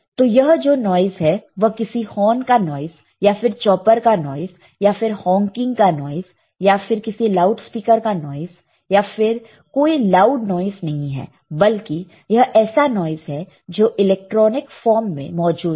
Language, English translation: Hindi, So, this is not some noise which is horn noise or which is a chopper noise or which is some honking right or which is some loudspeaker or very loud music, but these are the noises which are present in the electronic form